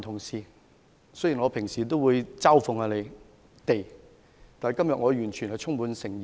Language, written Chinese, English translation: Cantonese, 雖然我平時也會嘲諷他們，但我今天是充滿誠意的。, I may ridicule them at times but I am speaking to them in all sincerity today